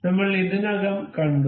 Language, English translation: Malayalam, We have already seen